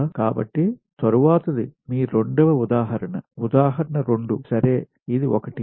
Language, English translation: Telugu, so next is your second example, example two